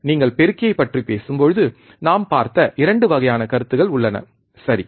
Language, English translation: Tamil, That when you talk about amplifier there are 2 types of feedback we have seen, right